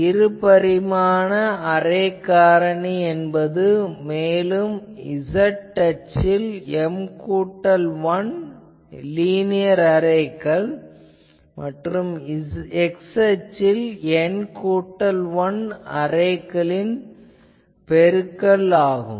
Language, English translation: Tamil, The two dimensional array factor will be the product of the array factor for M plus 1 linear array along the z axis with the array factor for the N plus 1 elements array along the x